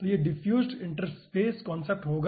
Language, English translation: Hindi, so it will be diffused interface concept